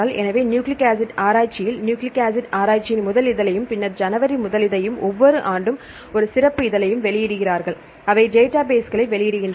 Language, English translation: Tamil, So, the nucleic acid research, they publish one special issue every year the first issue of the nucleic acid research then January first issue, they publish the databases